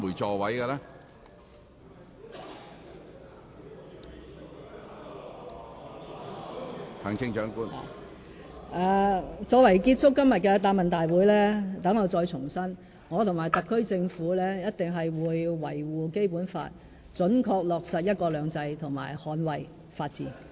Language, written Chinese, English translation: Cantonese, 作為今天答問會的結語，讓我重申，我和特區政府一定會維護《基本法》，準確落實"一國兩制"及捍衞法治。, In concluding todays Question and Answer Session I would like to reiterate that I and the SAR Government will certainly uphold the Basic Law accurately implement one country two systems and safeguard the rule of law